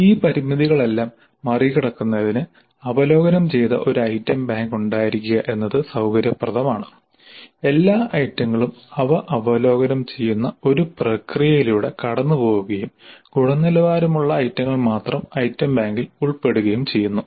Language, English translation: Malayalam, Now in order to overcome all these limitations it would be convenient to have an item bank which has been curated which has gone through where all the items have gone through a process by which they are reviewed and the quality items only have entered the item bank